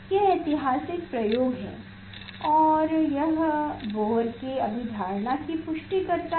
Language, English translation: Hindi, that is the historical experiment and it confirms the postulates of the Bohr